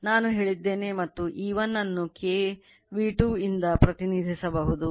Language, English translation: Kannada, I told you and your E 1 can be represent by K V 2